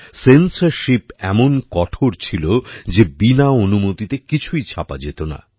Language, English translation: Bengali, The condition of censorship was such that nothing could be printed without approval